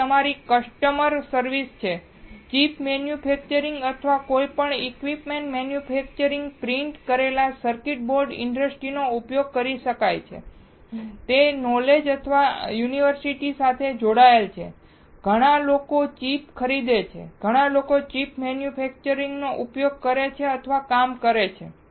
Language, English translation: Gujarati, Next is your customer service, can be used chip manufacturer or any equipment manufacturers, printed circuit board industry, it is linked with college and universities, lot of people buy the chip, lot of people use or work with chip manufacturer